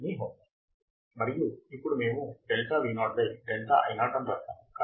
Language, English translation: Telugu, Is your homework, and now we have written delta Vo by delta Ii right